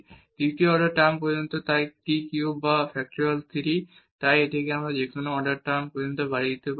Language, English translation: Bengali, And up to the third order term so t cube or factorial 3 so, we can extend this to any order term